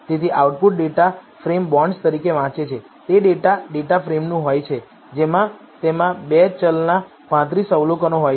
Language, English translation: Gujarati, So, the output reads as data frame bonds is of the type data frame it has 35 observations of 2 variables